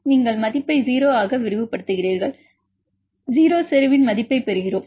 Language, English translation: Tamil, So, you extrapolate the value to 0, so we get the value of the 0 concentration